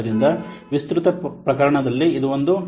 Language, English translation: Kannada, So extended case is this one